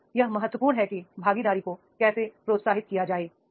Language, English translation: Hindi, So what makes an important is that is the how to encourage the participation